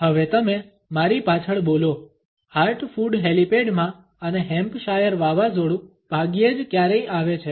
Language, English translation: Gujarati, Now you repeat there after me in heart food helipad and Hampshire hurricanes hardly ever happen